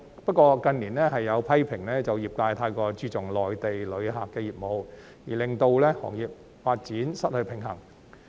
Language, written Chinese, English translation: Cantonese, 不過，近年有批評指，業界太過注重內地旅客的業務，令到行業發展失去平衡。, However in recent years there have been criticisms that the industry has focused too much on the business involving Mainland visitors resulting in an imbalance in the development of the industry